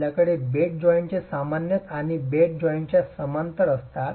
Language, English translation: Marathi, You have normal to the bed joint and parallel to the bed joint